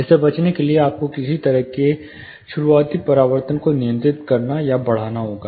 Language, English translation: Hindi, In order to avoid this you have to somehow control or enhance the early reflection